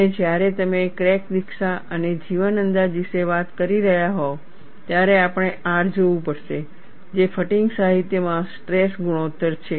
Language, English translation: Gujarati, And when you are talking about crack initiation and life estimation, we will have to look at R, which is the stress ratio in fatigue literature